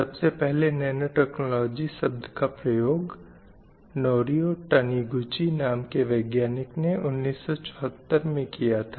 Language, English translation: Hindi, The term nanotechnology was coined by a scientist Norio Taniguchi in 1974